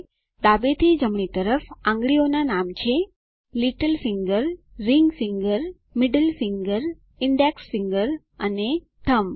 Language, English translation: Gujarati, Fingers, from left to right, are named: Little finger, Ring finger, Middle finger, Index finger and Thumb